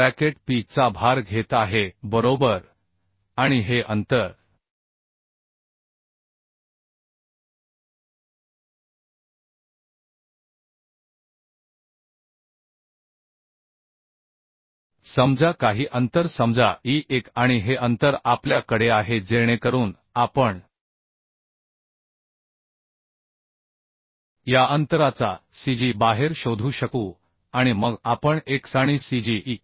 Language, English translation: Marathi, The bracket is taking a load of P right and this distance is suppose some distance say e1 and this we have this distance we have so we can find out the cg of this distance and then we can find out the x and cg e